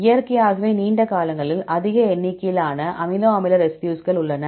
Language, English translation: Tamil, Naturally the longer ones have more number of amino acid residues